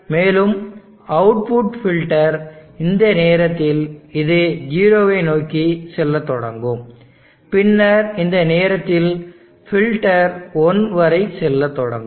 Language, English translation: Tamil, And the output the filter during this time this filter will start going toward 0, and then during this time the filter will start going up t o 1